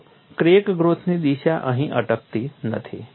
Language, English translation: Gujarati, See the crack growth direction does not stop here